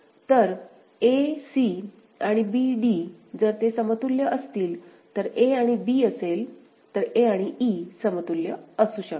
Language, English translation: Marathi, So, a c and b d, if they are equivalent; a c and b d if a is equivalent with c and b is equivalent with d, then a and e can be equivalent, fine